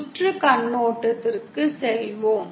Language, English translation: Tamil, Let us go to a circuit perspective